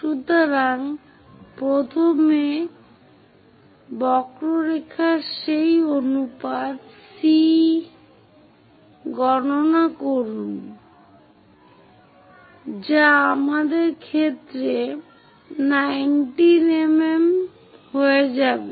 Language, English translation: Bengali, So, first of all, calculate that ratio C of the curve which will turns out to be 19 mm in our case